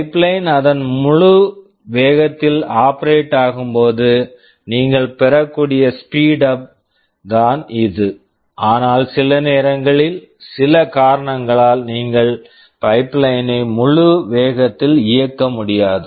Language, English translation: Tamil, It is the speedup you can get when the pipeline is operating in its full speed, but sometimes due to some reason, you cannot operate the pipeline at full speed